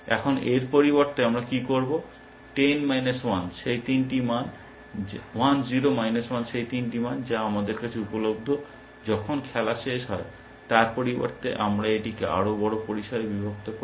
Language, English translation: Bengali, Now, what do we do instead of this, 1 0 minus 1 those three values, which are available to us, when the game ends, instead of that we break it up into a larger range